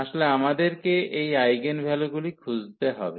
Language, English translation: Bengali, Actually we have to look for the eigenvector